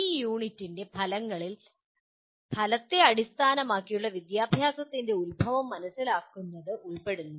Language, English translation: Malayalam, The outcomes of this unit include understand the origins of outcome based education